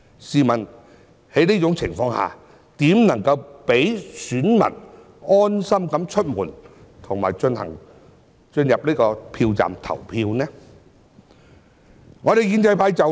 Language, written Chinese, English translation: Cantonese, 試問在這種情況下，如何能讓選民安心出門及進入票站投票呢？, Such being the case how can voters rest assured that it will be safe for them to go out that day and cast their votes at designated polling stations?